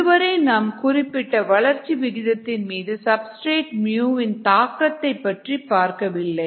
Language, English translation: Tamil, what we have done so far did not consider the effect of substrate on the specific growth rate, mu